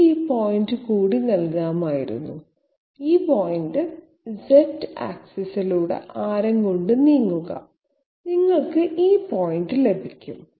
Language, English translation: Malayalam, I could have given this point also, this point is just move along the Z axis by radius, you will get this point